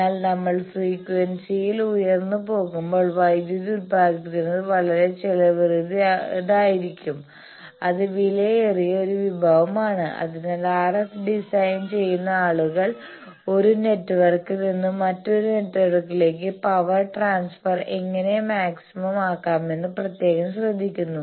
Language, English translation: Malayalam, But when we go higher up in frequency, when producing power is very costly, it is a costly resource that is why the RF design people they take very special care about, how to maximize the transfer of power from one network to another network